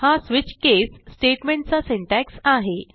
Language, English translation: Marathi, Here is the syntax for a switch case statement